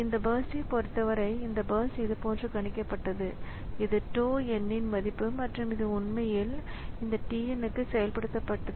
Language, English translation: Tamil, So, so for this burst so what was so suppose this burst was predicted like this that was the value of tau and it actually executed for now this tn